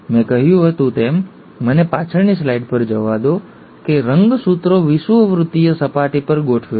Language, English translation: Gujarati, I told you, let me go back to the back slide, that the chromosomes arrange at the equatorial plane